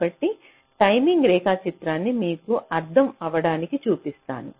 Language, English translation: Telugu, so let me show you the timing diagram so it will be good for you